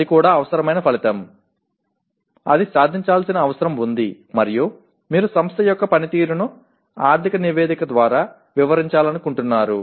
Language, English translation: Telugu, That is also necessary outcome; that needs to be attained and then having written that you want to explain the performance of the organization through the financial statement